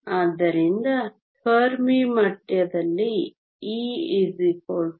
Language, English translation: Kannada, So, At the fermi level e is equal to e f